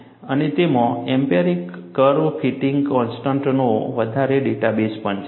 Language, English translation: Gujarati, And, it also has a large database of empirical curve fitting constants